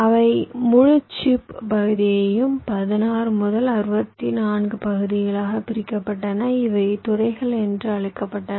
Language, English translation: Tamil, they divided the entire chip area into sixteen to sixty four regions